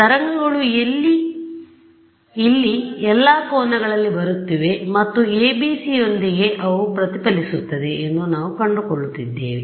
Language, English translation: Kannada, So, waves are coming at all angles over here and we are finding that with ABC’s they get reflected ok